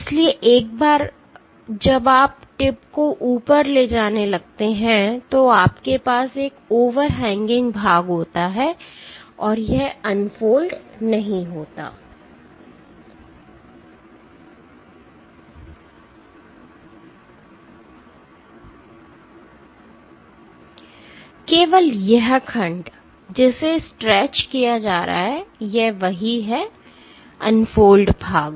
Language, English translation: Hindi, So, in a once the tip starts going up you a have an overhanging portion this does not unfold, only this segment, which is being stretched this is what this unfolds